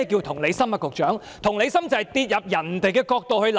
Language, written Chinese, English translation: Cantonese, 同理心是代入別人的角度來考慮。, Empathy is considering things from the perspective of another